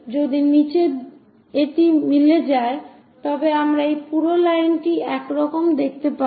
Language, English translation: Bengali, Bottom one coincides and we see this entire line as this one